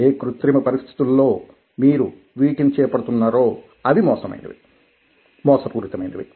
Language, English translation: Telugu, artificial conditions, the conditions through which you are undertaking these are artificial